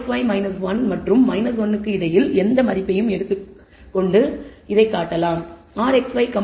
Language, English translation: Tamil, We can show that r xy we take a any value between minus 1 and plus 1